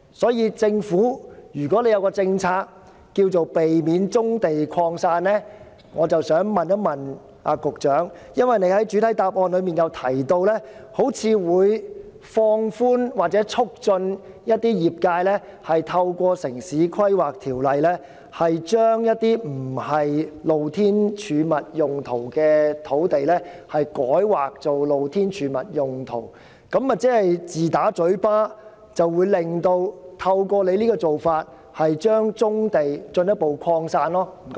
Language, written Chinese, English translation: Cantonese, 所以，政府的政策若是要避免棕地擴散，我便要問局長，假如根據他在主體答覆中提出的做法，放寬或促進業界人士透過《城市規劃條例》，把非用作"露天貯物"用途的土地改劃作"露天貯物"用途，這豈不是自打嘴巴，透過這種做法讓棕地進一步擴散？, Therefore if it is really the Governments policy to avoid the scattered distribution of brownfield sites I would like to ask the Secretary According to the main reply it is the Governments current practice to relax the relevant control or facilitate trade members to submit planning applications under the Town Planning Ordinance for rezoning the land not reserved for open storage uses to Open Storage zone . Is he saying that the Government contradicts itself by allowing brownfield sites to be further scattered across the territory?